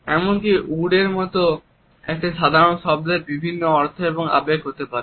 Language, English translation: Bengali, Even a simple word like ‘wood’ may have different meanings and connotations